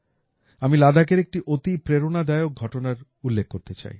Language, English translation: Bengali, I want to share with all of you an inspiring example of Ladakh